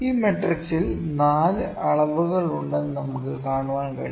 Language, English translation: Malayalam, We can see in this matrix there are 4 measurements